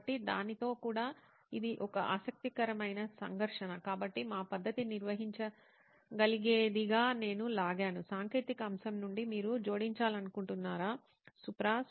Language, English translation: Telugu, So with that that is an interesting conflict also, so I have pulled that as a something that our method can handle, is there anything you would like to add in from the technical aspect, Supra